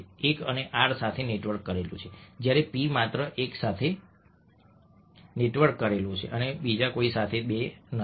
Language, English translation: Gujarati, one is network to have, whereas p is only network with one and two, nobody else